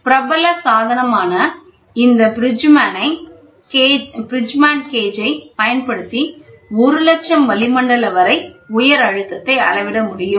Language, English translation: Tamil, The most popular device used this Bridgman's gauge which can be which can measure high pressure up to 1 lakh atmosphere